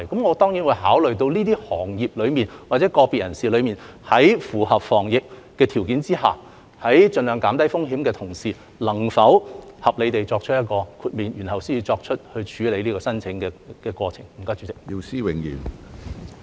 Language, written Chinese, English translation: Cantonese, 我當然會考慮到，對於這些行業人士或者個別人士，在符合防疫的條件下及盡量減低風險的同時，能否合理地作出豁免，然後處理有關申請。, Before processing the relevant applications I will certainly consider whether exemptions can be reasonably granted to members of these sectors or to individuals while meeting the conditions of epidemic prevention and minimizing risk at the same time